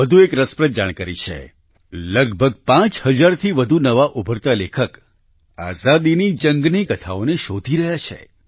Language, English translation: Gujarati, There is another interesting information more than nearly 5000 upcoming writers are searching out tales of struggle for freedom